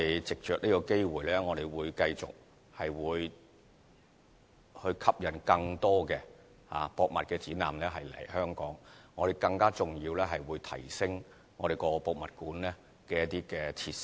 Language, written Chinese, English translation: Cantonese, 藉着這個機會，我們會繼續吸引更多博物館展覽來香港舉行，更重要的是會更提升博物館的設施。, Taking this opportunity we will continue to attract more museum exhibitions to be held in Hong Kong and more importantly we will enhance the museum facilities